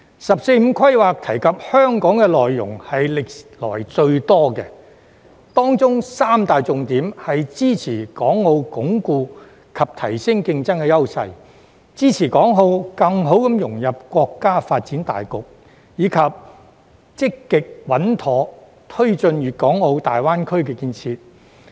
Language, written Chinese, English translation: Cantonese, "十四五"規劃提及香港的內容是歷來最多的，當中三大重點是支持港澳鞏固及提升競爭優勢、支持港澳更好融入國家發展大局，以及積極穩妥推進粵港澳大灣區建設。, The contents relating to Hong Kong in 14th Five - Year Plan are the most abundant in history . The three major points therein are supporting Hong Kong and Macao in reinforcing and enhancing their competitive advantages supporting Hong Kong and Macao in better integrating into the overall development of the country and taking forward the GBA development actively and steadily